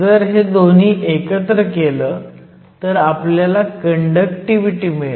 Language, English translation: Marathi, If we put both these together, we will get the conductivity